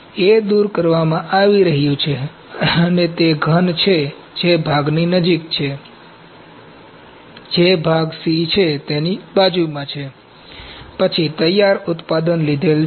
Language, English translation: Gujarati, And these are the cube which are close to the part, just adjacent to the part that is part C, then the finished product is taken